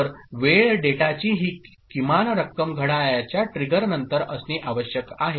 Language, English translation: Marathi, So, this minimum amount of time data must be held after clock trigger ok